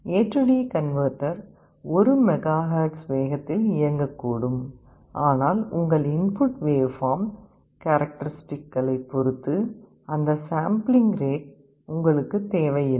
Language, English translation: Tamil, The A/D converter may be working at 1 MHz speed, but you may not be requiring that kind of a sampling rate depending on your input waveform characteristic